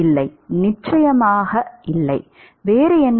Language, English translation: Tamil, No of course, not what else